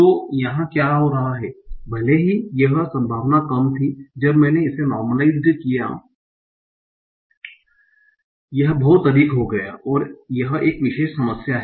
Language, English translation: Hindi, So, what is happening here even though this probability was low when I normalized this became very, this became very high